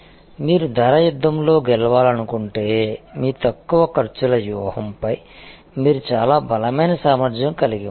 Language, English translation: Telugu, And if you want to win in the price war, you have to have a very strong handle on your low costs strategy